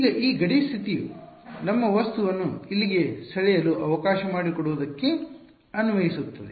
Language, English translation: Kannada, Now this boundary condition applies to what all does it apply to let us draw our object over here ok